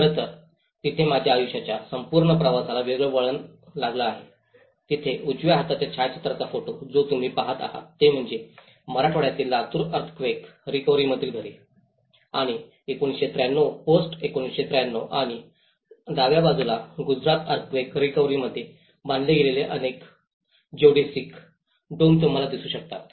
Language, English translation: Marathi, In fact, where my whole journey of my life has taken a different turn, the right hand side photograph which you are seeing, which is the reconstructed houses in the Latur Earthquake recovery in the Marathwada region and 1993 posts 1993 and on the left hand side you can see many of the Geodesic Domes constructed in Gujarat Earthquake recovery